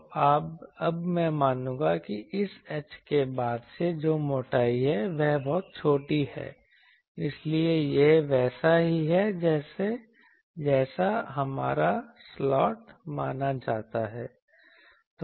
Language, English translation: Hindi, So, now I will assume that since this h which is the thickness that is very small so, it is same as our slot we consider